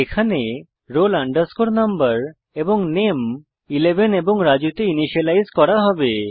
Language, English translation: Bengali, Here, roll number and name will be initialized to 11 and Raju